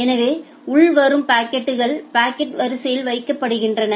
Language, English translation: Tamil, So, incoming packets are put in the packet queue